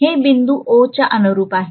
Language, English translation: Marathi, So this is corresponding to point O, okay